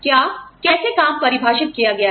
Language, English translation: Hindi, What, how the job is defined